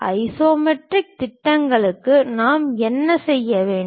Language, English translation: Tamil, And for isometric projections, what we have to do